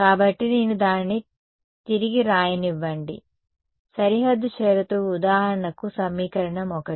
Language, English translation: Telugu, So, let me rewrite it boundary condition is for example, equation 1 right